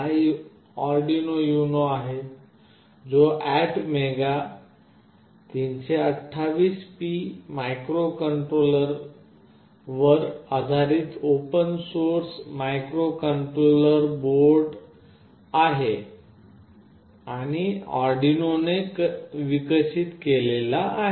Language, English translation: Marathi, This is the Arduino UNO, which is widely used open source microcontroller board, based on ATmega328P microcontroller and is developed by Arduino